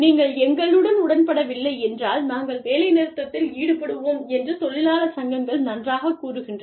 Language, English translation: Tamil, Labor unions say, well, if you do not agree with us, we will go on strike